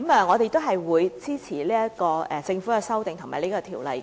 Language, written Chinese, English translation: Cantonese, 我們會支持經政府修正的《條例草案》。, We will support the Bill as amended by the Government